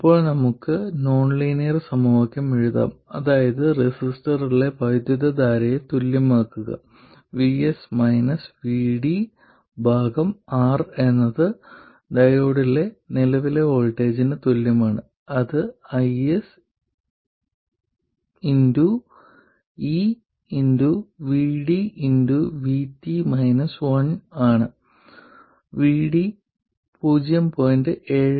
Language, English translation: Malayalam, Now, first of all, we can write down the nonlinear equation which is to equate the current in the resistor, vS minus VD by R, to be equal to the current in the diode in terms of its voltage which is i